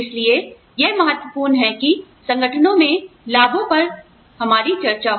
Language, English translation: Hindi, So, it is important that, we have a discussion, on benefits, in organizations